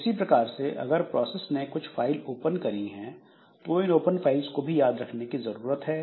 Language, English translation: Hindi, Similarly if the process has opened some files then this list of open files is also remembered